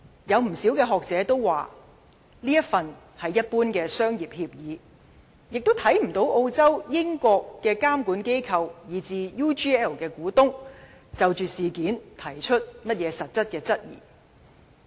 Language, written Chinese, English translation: Cantonese, 有不少學者認為，該份協議只是一般商業協議，亦看不到澳洲、英國的監管機構，以至 UGL 的股東，曾就着事件提出任何實質質疑。, Several written statements had also been issued by the Australian company UGL . Many scholars consider that the relevant agreement is just a general commercial agreement . They also note that so far no substantial query has been raised by the regulators in Australia and the United Kingdom or the shareholders of UGL on this incident